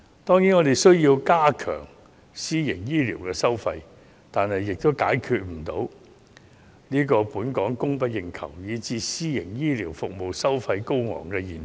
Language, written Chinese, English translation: Cantonese, 當然，我們需要加強監管私營醫療的收費，但這也解決不了香港供不應求以至私營醫療服務收費高昂的現象。, Of course we need to step up monitoring of private healthcare charges but this can still not redress the problems of supply falling short of demand and overcharging of private healthcare services